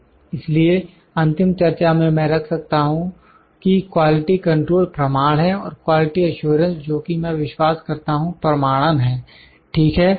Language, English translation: Hindi, So, on the final note I can put that quality control is validation and quality assurance that I believe is verification, ok